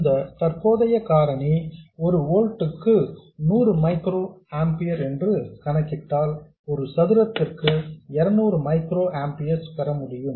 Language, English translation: Tamil, And if you substitute VGS minus VT equal to 2 volt and this current factor to be 100 microamper per volt square, you will get 200 microampiers